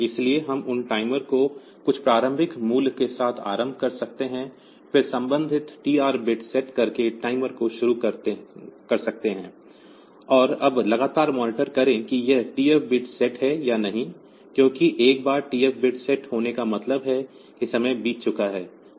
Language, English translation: Hindi, So, we can initialize the those timer with some value with some initial value, then start the timer by setting the corresponding TR bit and now continually monitor whether these TF bit is set or not, because once the TF bit is set means that time has passed